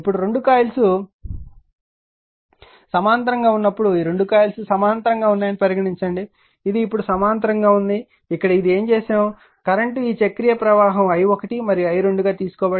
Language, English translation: Telugu, Now, when 2 coils are in parallel suppose these 2 coils are in parallel that is series now this is a parallel what you have done it here that, current is this cyclic current is taken i1 and i 2